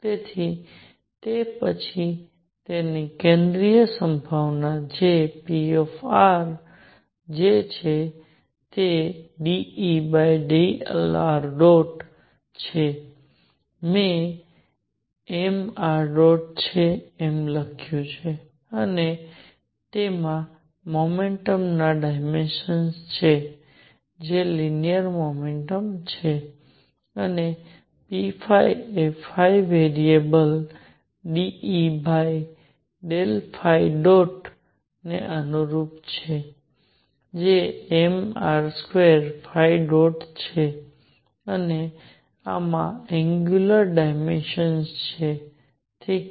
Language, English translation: Gujarati, So, that its central potential then p r which is d E by d r dot is m r dot and has dimensions of momentum that is linear momentum and p phi corresponding to variable phi is partial Eover partial phi dot which is m r square phi dot and this has dimensions of angular momentum, alright